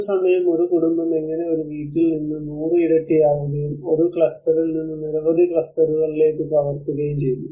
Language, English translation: Malayalam, How one household at a time the multiplication from one household to a 100 and the replication from one cluster to many clusters